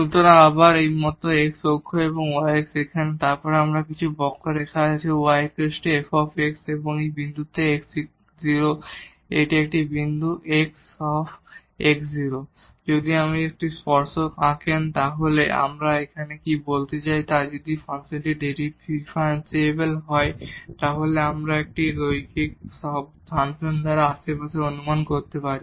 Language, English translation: Bengali, So, again like this is x axis y x is here and then we have some curve y is equal to f x and at this point x naught this is a point x naught f x naught, if you draw the tangent then what we want to say here that if the function is differentiable then we can approximate in the neighborhood by a linear function